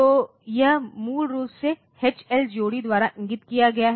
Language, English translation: Hindi, So, this is basically indicated by the H L pair